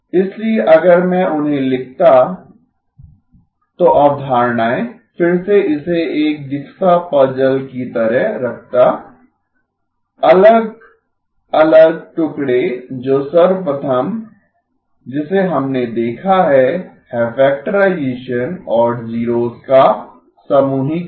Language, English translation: Hindi, So if I were to write them down, so the concepts, again keep it like a jigsaw puzzle, the different pieces that, the first one that we have seen is factorization and grouping of zeroes